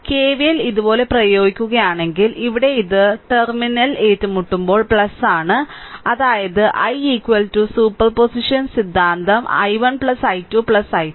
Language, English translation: Malayalam, Because here it is plus terminal encountering plus if you apply KVL like this so; that means, i is equal to superposition theorem i 1 plus i 2 plus i 3